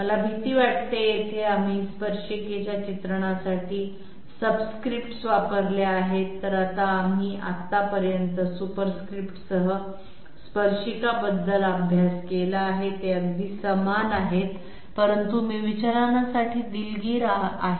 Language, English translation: Marathi, I am afraid, here we have used subscripts for the tangent depiction while we have up till now studied about tangent with superscripts, they are the very same thing but I sorry for the deviation